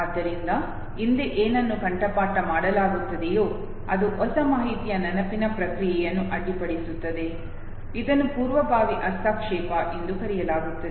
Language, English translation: Kannada, So what is happening actually the previously memorized content that interferes with the process of recollection of the new information, this is called proactive interference